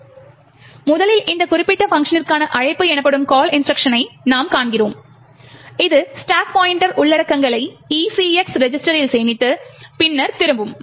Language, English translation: Tamil, So, first we see the call instruction which are essentially is a call to this particular function over here which stores the contents of the stack pointer into the ECX register and then returns